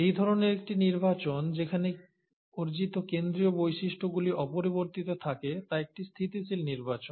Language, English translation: Bengali, Now such kind of a selection where the central most acquired characters are retained is a stabilizing selection